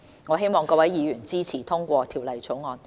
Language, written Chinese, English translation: Cantonese, 我希望各位議員支持通過《條例草案》。, I hope Members can support the passage of the Bill